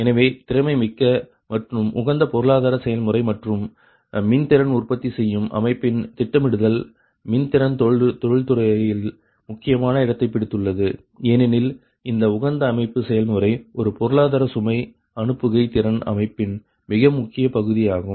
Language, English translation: Tamil, right so that the efficient and optimum economic operation, right and planning of eclectic power generation system have occupied the important position in the eclectic power industry, because this optimal system operation, an economical, economic load dispatch, is very important